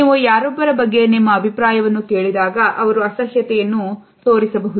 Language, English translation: Kannada, You could ask your opinion about someone and they might show disgust